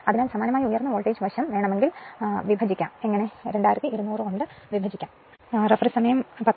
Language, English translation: Malayalam, So, similarly if you want high voltage side, you can divide by your what you call you can divide by 2200